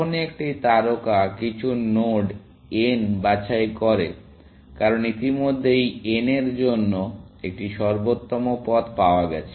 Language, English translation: Bengali, Whenever, A star picks some node n, because already found an optimal path to n